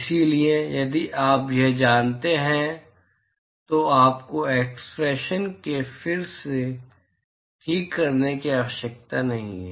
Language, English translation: Hindi, So, if you know this, you do not have to integrate the expression again all right